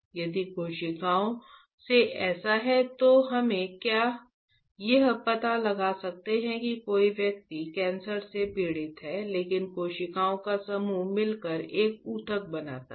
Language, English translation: Hindi, If that is the case from the cells can we diagnosed that a person is suffering from cancer, right but group of cells together makes a tissue